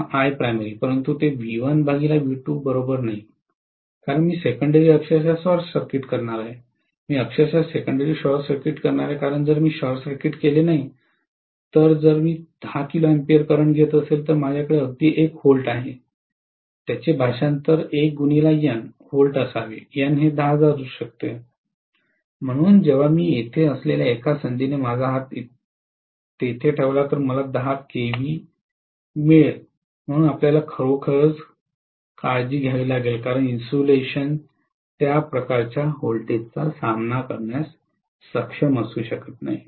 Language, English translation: Marathi, I2 by I1 or I primary, but that is not equal to V1 by V2 because I am going to literally short circuit the secondary, literally I am going to short circuit the secondary because if I do not short circuited, if I am having a 10 kilo ampere current, if I have even 1 V, it should be translated as maybe 1 multiplied by N V, N may be 10,000, so I will get 10 kilo volts any if I put my hand there by any chance I really had it, so we have to be really, really careful, because the insulation may not be able to withstand that kind of voltage, got it